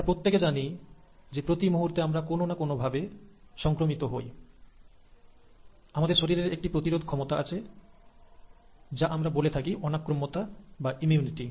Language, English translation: Bengali, Now we all know, that every time we get some sort of an infection, our body has an ability to fight it out, which is what you call as ‘immunity’